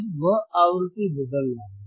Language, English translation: Hindi, and n Now he is changing the frequency